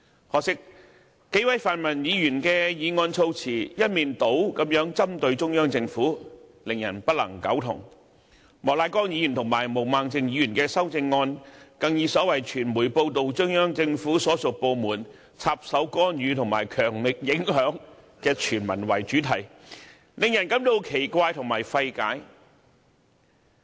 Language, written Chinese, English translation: Cantonese, 可惜，數位泛民議員的修正案措辭一面倒針對中央政府，令人不能苟同；莫乃光議員和毛孟靜議員的修正案，更表示傳媒報道中央人民政府所屬部門"插手干預"和"強力影響"特首選舉，令人感到奇怪和費解。, Regrettably the wordings of the amendments proposed by the several pan - democratic Members are overly against the Central Government which cannot be endorsed; the amendments of Mr Charles Peter MOK and Ms Claudia MO even state that it has been reported that some departments of the Central Peoples Government have meddled in and vigorously influenced the Chief Executive Election . Such remarks are really strange and perplexing